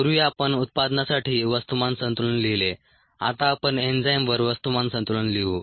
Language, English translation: Marathi, now let us write a mass balance on the enzyme